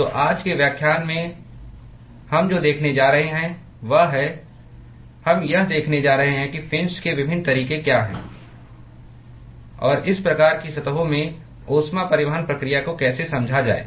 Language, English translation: Hindi, So, what we are going to see in today’s lecture is : we are going to look at what are the different ways of fins and how to understand heat transport process in these kinds of surfaces